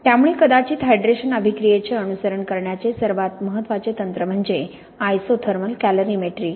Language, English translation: Marathi, So perhaps the foremost technique for following the hydration reaction is isothermal calorimetry